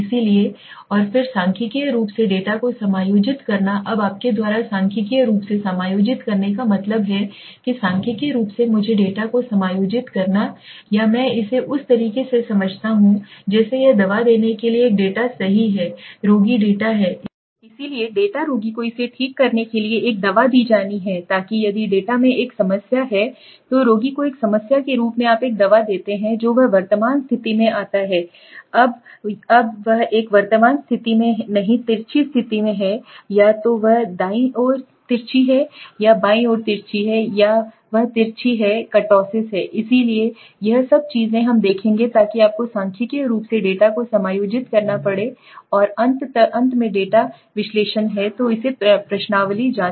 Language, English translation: Hindi, So and then statistically adjusting the data now what you mean by statistically adjusting it is the statistically adjusting the data to me or I explain it in the way it is like giving medicine to the data right the patient is the data so data the patient has to be given a medicine to correct it so that mean if the data has a problem the patient as a problem you give a medicine hen he comes to a normal condition now he in the present movement he is not in a normal condition now he is in a skewed condition right either he is too skewed to the right or too skewed to the left or he is kurtotic right so all this things we will see so you have to statistically adjust the data might and then finally the data analysis okay So the first questionnaire checking